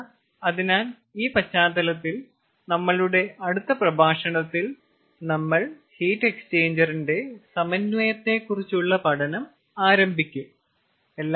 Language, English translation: Malayalam, so with this background, in our next lecture we will start the synthesis of heat exchanger